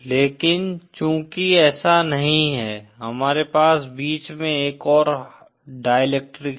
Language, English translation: Hindi, But since it is not so, we have another dielectric material in between